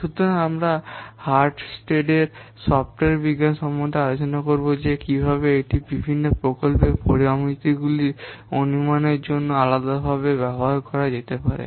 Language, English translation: Bengali, So, today we will discuss about the Hullstead software science, how it can be used for different for the estimation of different project parameters